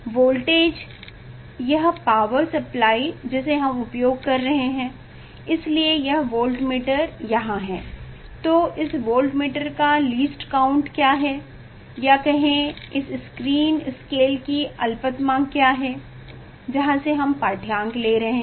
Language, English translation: Hindi, Voltage, that power supply whatever we are using, so their voltmeter is there, so what is the smallest least count of this voltmeter, what is the least count of the screen scale from where we are taking reading